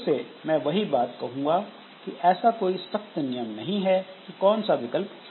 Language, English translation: Hindi, So, again the same thing that there is no hard and fast rule like which option should be followed